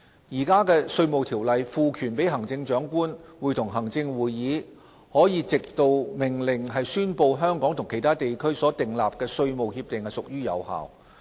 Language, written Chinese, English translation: Cantonese, 現行《稅務條例》賦權行政長官會同行政會議可藉命令宣布香港與其他地區所訂立的稅務協定屬有效。, Currently the Inland Revenue Ordinance empowers the Chief Executive in Council to declare by order that any tax arrangements having been made by Hong Kong with other territories shall have effect